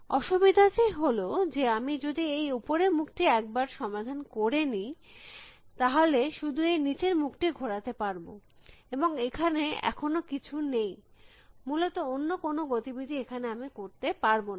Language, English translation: Bengali, The trouble is once I have solved this top face, I can only move this bottom face and there is nothing yet, no other movement I can make essentially